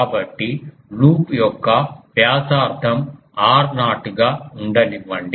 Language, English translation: Telugu, So, let the radius of the loop is r naught